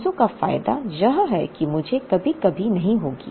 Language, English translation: Hindi, The advantage of 300 is that I will never encounter a shortage